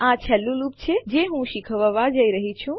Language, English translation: Gujarati, This is the last loop Im going to cover